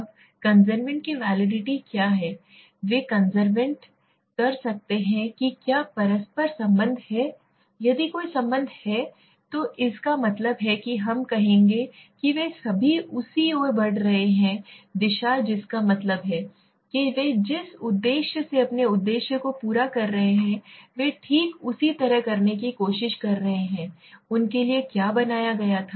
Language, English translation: Hindi, Now what is the convergent validity are they converging means is there a correlation between them, if there is correlation that means we will say they are all moving towards to the same direction that means there purpose they are meeting their purpose they are trying to do exactly what they were made for